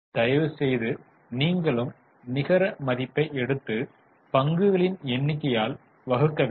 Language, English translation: Tamil, So, please take net worth and divided by number of shares